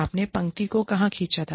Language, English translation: Hindi, Where do you draw the line